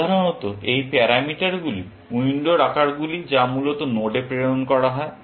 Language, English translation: Bengali, These parameters are basically, the window sizes that are passed on to the node, essentially